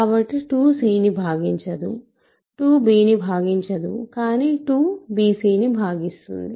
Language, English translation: Telugu, So, 2 does not divide c, 2 does not divide b, but 2 divides bc